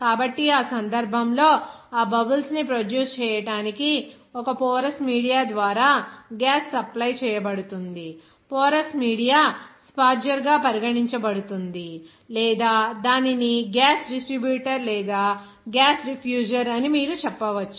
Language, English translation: Telugu, So, in that case, to produce that bubbles, the gas will be supplied through a porous media, that porous media will be regarded as sparger or you can say that gas distributor or gas diffuser